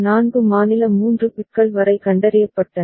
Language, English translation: Tamil, So, up to 4 state 3 bits detected